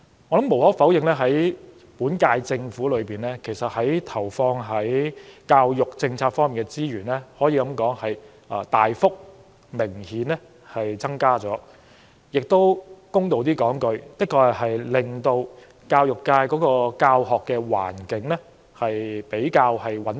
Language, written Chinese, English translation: Cantonese, 無可否認，本屆政府投放在教育政策上的資源，可說是明顯有大幅增加，說得公道一些，就是確實穩定了教學環境。, Undeniably this Government has devoted substantially more resources on education policy; and in all fairness the Government does manage to stabilize the education environment